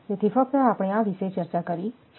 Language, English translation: Gujarati, So, just we have discussed this regarding this one